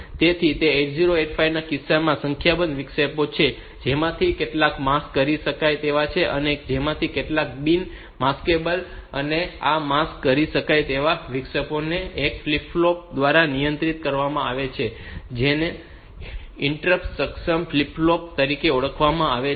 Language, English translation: Gujarati, So, in case of 8085; so there are a number of interrupts some of which are maskable, some of which are non maskable and these maskable interrupts are controlled by one flip flop, which is known as interrupt enable flip flop